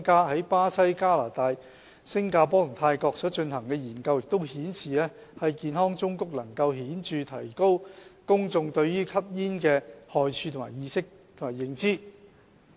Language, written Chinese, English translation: Cantonese, 在巴西、加拿大、新加坡及泰國所進行的研究均顯示，健康忠告能顯著地提高公眾對吸煙害處的意識及認知。, Studies carried out in Brazil Canada Singapore and Thailand have also shown that health warnings significantly increase peoples awareness or knowledge of the harm of tobacco use